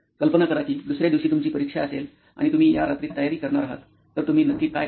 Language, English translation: Marathi, Imagine you have an exam the next day and you are going to prepare this night, so what will you be exactly doing